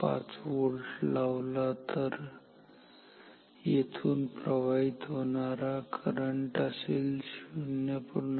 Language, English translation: Marathi, 5 volt, then the current that will flow here is this will be 0